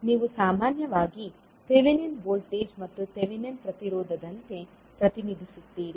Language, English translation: Kannada, You generally represent it like thevenin voltage and the thevenin resistance